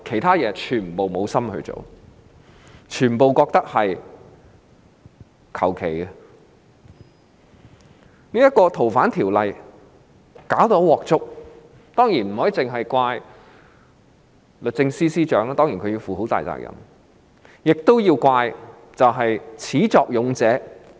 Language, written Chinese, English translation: Cantonese, 《條例草案》的審議搞得一塌糊塗，當然不能只怪律政司司長——雖然她要負上很大責任——亦要怪始作俑者。, The scrutiny of the Bill was a complete mess . Of course we cannot only blame the Secretary for Justice―though she has to bear a lot of responsibilities―we also have to blame the culprits who initiated the Bill